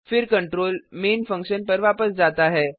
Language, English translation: Hindi, Then the control jumps back to the Main function